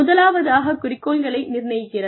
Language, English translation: Tamil, The first one is, setting up objectives